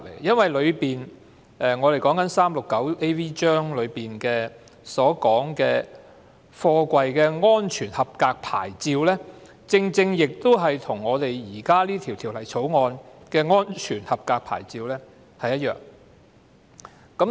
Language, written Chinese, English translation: Cantonese, 第 369AV 章所訂定的貨櫃安全合格牌照，與現時審議的《條例草案》所訂的安全合格牌照是一樣的。, 369AV . The safety approval plate stipulated under Cap . 369AV is the same as that stipulated in the Bill which is now under consideration